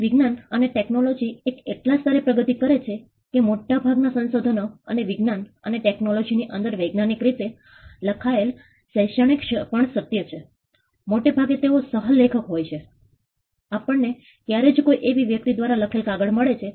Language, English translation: Gujarati, Today the sciences and technology has progressed to such a level that most of the inventions and this is also true about academic writing in the scientific in science and technology; most of the time they are coauthor we would very rarely find papers written by a single person